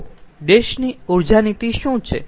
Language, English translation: Gujarati, what is energy policy